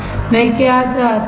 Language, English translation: Hindi, What I want